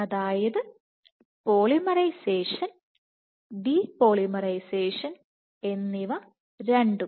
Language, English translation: Malayalam, So, polymerization and de polymerization both